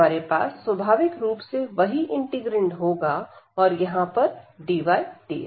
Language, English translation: Hindi, We are going to have the same integrand naturally and then here dy and dx